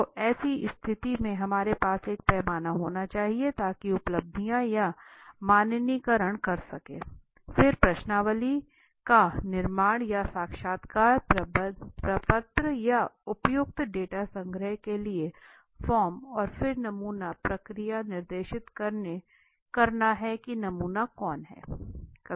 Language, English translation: Hindi, So in such a condition we need to have a scale to you know standardize their achievements, then constructing the questionnaire or a form interviewing form or an appropriate form for data collection right then specifying the sampling process so who is the sample